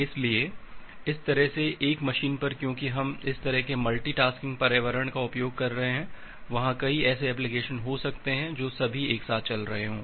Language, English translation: Hindi, So, that way on a single machine because we are utilizing this kind of multi tasking environment, they are can be multiple such applications which are running all together